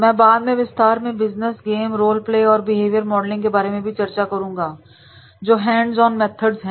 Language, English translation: Hindi, Case studies I will also discuss later on in details about these business games, role plays and behavior modeling in these are the hands on methods are there